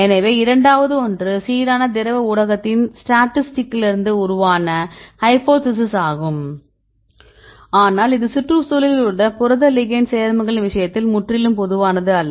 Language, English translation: Tamil, So, second one is the hypothesis originated from the statistics of the uniform liquid medium, but here this is totally non uniform medium right in the case of the protein ligand complexes right in the environment